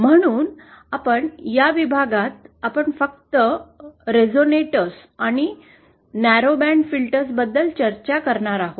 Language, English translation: Marathi, So, let us in this module we will be just discussing about the resonators and narrowband filters